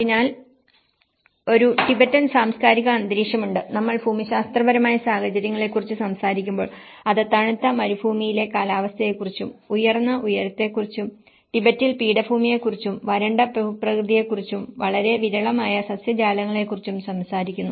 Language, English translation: Malayalam, So, there is a Tibetan cultural environment, when we talk about the geographic conditions, it talks about the cold desert climate and high altitude, Tibetan plateau and the arid topography and a very scarce vegetation